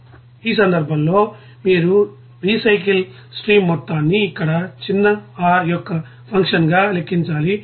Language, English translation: Telugu, Now in this case you have to calculate the amount of the recycle stream r as a function of small r here